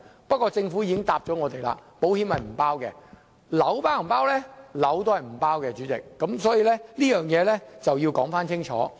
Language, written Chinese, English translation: Cantonese, 不過，政府已經回答我們，保險並不包括在內，物業也是不包括在內的，所以這個要說清楚。, However the Government has told us that insurance is not counted towards the monetary threshold nor is property included . This indeed has to be clarified